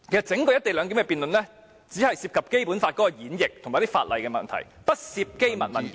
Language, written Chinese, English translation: Cantonese, 整項"一地兩檢"的辯論只涉及《基本法》的演繹及法例的問題，不涉及機密文件。, The entire motion on the co - location arrangement only involves the interpretation of the Basic Law and the laws but not confidential documents